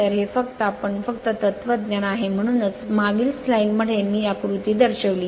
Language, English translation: Marathi, So, this is your just you just same philosophy that is why previous slide I showed the diagram